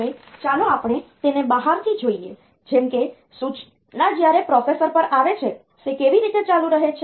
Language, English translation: Gujarati, Now let us look at it from the outside like the way the instruction comes to the processor how does it continue